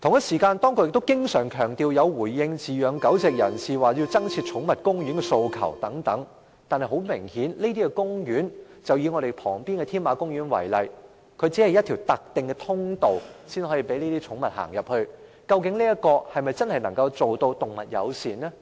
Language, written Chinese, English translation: Cantonese, 此外，當局經常強調有回應飼養狗隻人士對增設寵物公園的訴求。可是，很明顯，這些公園......以立法會大樓旁邊的添馬公園為例，只有一條特定的通道讓寵物進入，這樣是否真的能夠做到動物友善？, Moreover the authorities often emphasize that they have responded to dog keepers demands for more pet gardens but it is clear that these gardens Take for example Tamar Park adjacent to the Legislative Council Complex; it has only one designated path for pet access